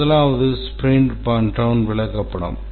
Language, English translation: Tamil, The first one is the sprinted burn down chart